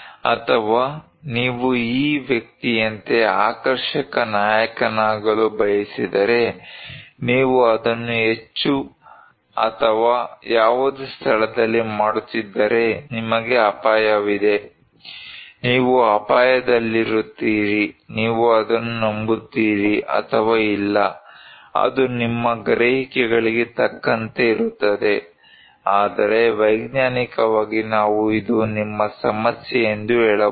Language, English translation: Kannada, Or maybe if you want to be a flamboyant hero like this guy you are at risk, if you are doing it at high or any place, you are at risk, you believe it or not, is simply up to your perceptions, but scientifically we can tell that this is your problem